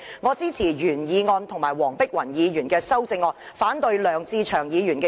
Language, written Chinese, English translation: Cantonese, 我支持原議案和黃碧雲議員的修正案，反對梁志祥議員的修正案。, I support the original motion and the amendment moved by Dr Helena WONG and I oppose Mr LEUNG Che - cheungs amendment